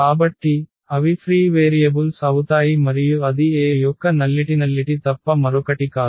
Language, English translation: Telugu, So, they will be free variables and that is nothing but the nullity of A